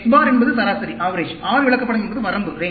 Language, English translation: Tamil, X bar is the average; R chart is the range